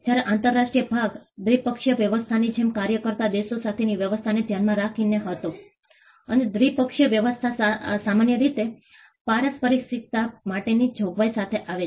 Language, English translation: Gujarati, Whereas, the international part was with regard to arrangements with countries act like a bilateral arrangement; and the bilateral arrangement normally came with the, with a provision for reciprocity